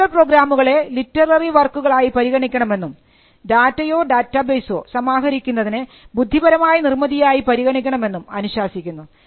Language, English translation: Malayalam, It required that computer programs should be treated as literary works and compilation of data or databases should also be treated as intellectual creations